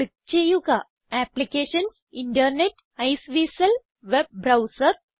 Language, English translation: Malayalam, Click on Applications Internet Iceweasel Web Browser